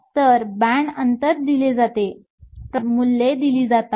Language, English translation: Marathi, So, the band gap is given, the effective mass values are given